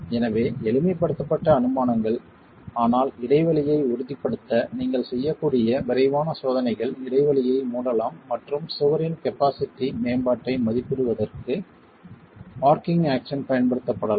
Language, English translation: Tamil, So, simplified assumptions but quick checks that you can do to ensure the gap can be closed, rigid action, the gap can be closed and arching action can be used for estimating the capacity, enhancement of the capacity of the wall itself